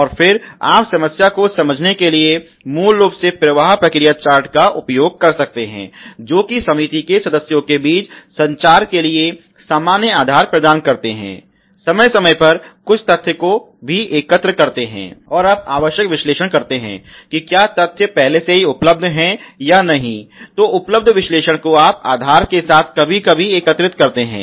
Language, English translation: Hindi, And then you can use flow process charts as basic for understanding the problem, which provide the common bases for communication among the comity members also collect some data from time to time, and you analyze necessary if data is already a available or if it is not available you collect the analyze what ever with basis